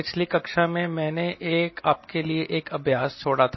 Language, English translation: Hindi, friends, in the last class i left an exercise for you, and what was that